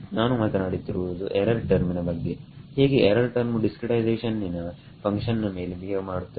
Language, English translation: Kannada, The error term is what I am talking about how does the error behave as a function of the discretization